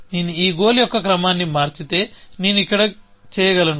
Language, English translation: Telugu, I could do it here, if I change the order of this goal